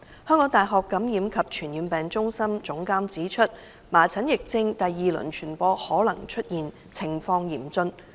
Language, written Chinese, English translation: Cantonese, 香港大學感染及傳染病中心總監指出，麻疹疫症第二輪傳播可能出現，情況嚴峻。, The Director of the Carol Yu Centre for Infection of the University of Hong Kong has pointed out that there may be a second - round spread of measles and the situation is bleak